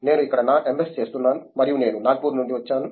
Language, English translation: Telugu, I am doing my MS here and I am from Nagpur